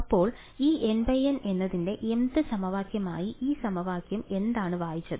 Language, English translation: Malayalam, So, what did this equation read as the mth equation in these N cross N